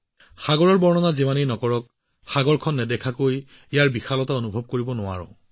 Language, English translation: Assamese, No matter how much someone describes the ocean, we cannot feel its vastness without seeing the ocean